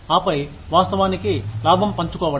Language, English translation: Telugu, And then, of course, profit sharing